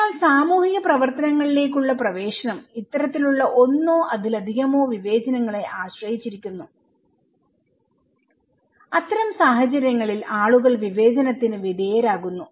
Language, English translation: Malayalam, So, access to social activities depends on one or another of these kinds of discriminations, people are discriminated in this kind of situations okay